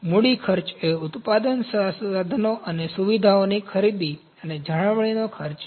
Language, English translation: Gujarati, Capital cost are the cost of purchasing and maintaining the manufacturing equipment and facilities